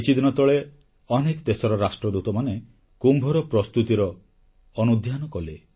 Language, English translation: Odia, A few days ago the Ambassadors of many countries witnessed for themselves the preparations for Kumbh